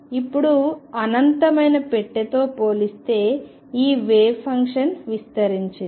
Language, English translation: Telugu, Now, this wave function compared to the infinite box is spread out